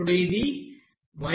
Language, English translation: Telugu, What is this yi